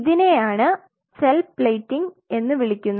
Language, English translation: Malayalam, So, this is called the cell plating